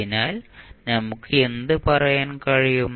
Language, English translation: Malayalam, So, what we can say